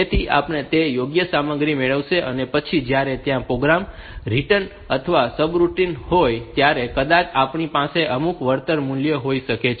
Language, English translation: Gujarati, And then later on it is when the program returns or subroutine returns then maybe we can have some return value